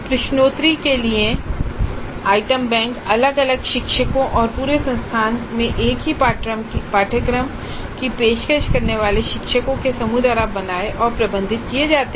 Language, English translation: Hindi, The item banks for quizzes are created and managed by the individual teachers or the group of teachers offering a same course across the institute